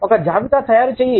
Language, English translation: Telugu, Make a list